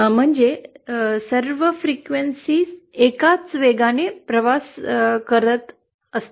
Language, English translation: Marathi, That is, all frequencies would have been travelling at the same velocity